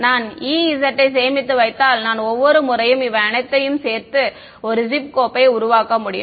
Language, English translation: Tamil, If I store the E z at every time instant I can put it all together and make gif file